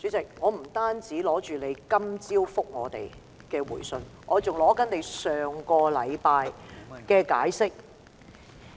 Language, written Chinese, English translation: Cantonese, 主席，我不僅看過你今早給我們的回信，我還看了你上星期的解釋。, President I have not only read your reply letter to us this morning I have also read your last weeks explanation . I read them carefully